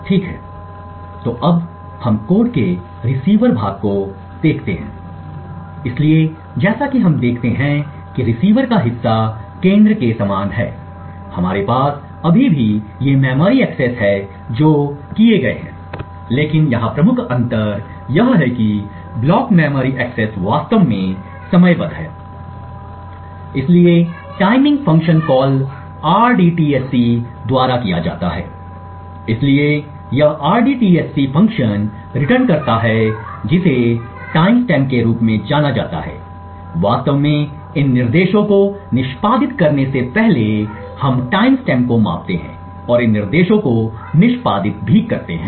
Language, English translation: Hindi, Okay, so let us now look at the receiver part of the code, so as we see the receiver part is very similar to that of the centre, we still have these memory accesses which are done but the major difference here is that the block of memory accesses is actually timed, so the timing is done by the function call rdtsc, so this rdtsc function returns what is known as the time stamp prior to actually executing these instructions we measure the timestamp and also at the end of these instruction executions